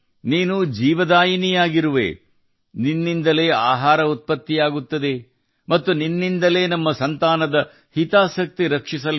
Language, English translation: Kannada, You are the giver of life, food is produced from you, and from you is the wellbeing of our children